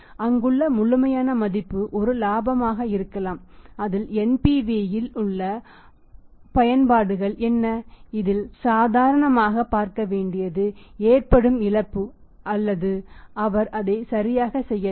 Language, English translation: Tamil, The absolute value there might be a profit what is the apps in the NPV in which we should normally look at he is making the loss or he is not making it right